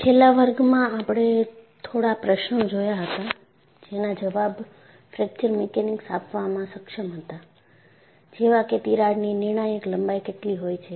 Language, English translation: Gujarati, In the last class, we had raised a few questions that fracture mechanics should be able to answer; these were: what is a critical length of a crack